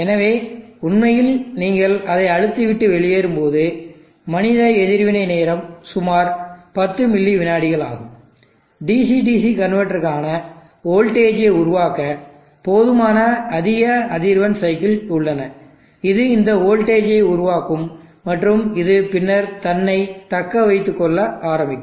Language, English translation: Tamil, So actually when you press and leave it the human reaction time himself is around 10 milliseconds, there is more than sufficient number of high frequency cycles possible for the DC DC converter to build up the voltage which will build up this voltage and which will then start self sustaining itself